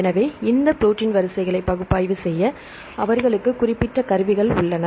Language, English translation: Tamil, So, they have specific tools to analyze these protein sequences